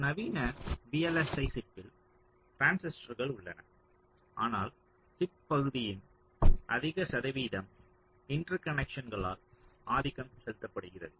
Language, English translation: Tamil, so in a modern () chip, of course there are transistors, but, ah, a very good percentage of the chip area is dominated by the so called interconnects